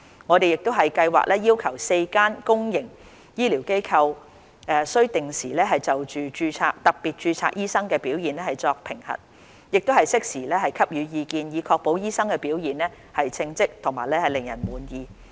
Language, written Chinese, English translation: Cantonese, 我們亦計劃要求4間公營醫療機構須定時就特別註冊醫生的表現作評核，並適時給予意見，以確保醫生的表現稱職和令人滿意。, To ensure that doctors with special registration serve competently and satisfactorily we also plan to require the four institutions to assess their performance on a regular basis and offer timely advice to them